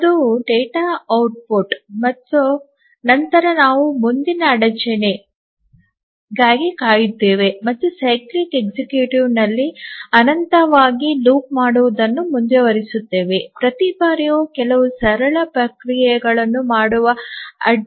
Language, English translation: Kannada, And then wait for the next interrupt and the cyclic executive continues looping here infinitely each time waiting for the interrupt doing some simple processing